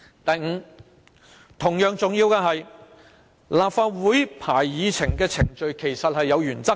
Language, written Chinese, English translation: Cantonese, 第五，同樣重要的是，立法會會議議程的編排是有原則的。, Fifth and equally important there are principles behind the arrangement of items of business on the agenda of the Legislative Council